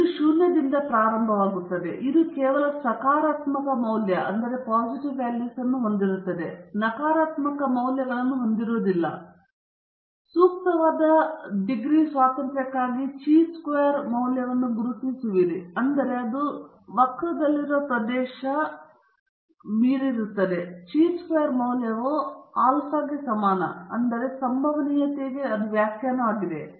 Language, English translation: Kannada, Here it is starting from zero, it is going to have only positive values, you can’t have negative values, and then, you are identifying the chi squared value for the appropriate degrees of freedom, such that the area in the curve beyond this chi squared value is alpha okay so that is the definition for the probability